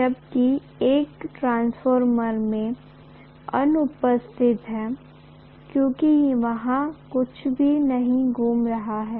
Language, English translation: Hindi, Whereas, that is absent in a transformer, because there is nothing rotating there